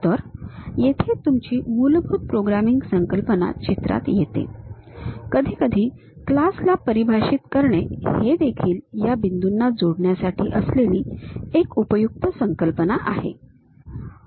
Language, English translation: Marathi, So, there your basic programming a concept comes into picture; sometimes defining class is also useful concept for this connecting these points